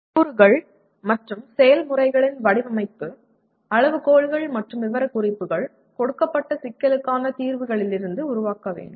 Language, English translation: Tamil, The design criteria and specifications of components and processes need to be evolved from the solutions to a given problem